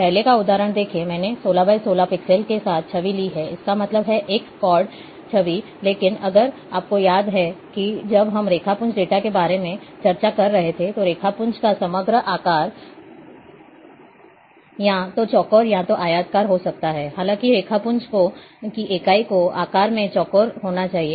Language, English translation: Hindi, ln the earlier example, I have taken image with is 16 by 16 pixel; That means, a squad image, but if you recall that, when I, when we were discussing about raster data, the overall shape of the raster can be either square or rectangle; However, the unit of the raster has to be in square in shape